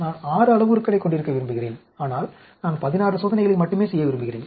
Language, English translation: Tamil, I want to have 6 parameters, but I want to do only 16 experiments